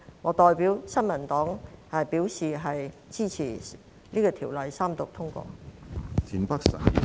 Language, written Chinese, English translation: Cantonese, 我代表新民黨支持《條例草案》三讀通過。, On behalf of the New Peoples Party I support the Third Reading and passage of the Bill